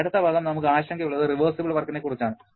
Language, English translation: Malayalam, Next term that we are concerned about is reversible work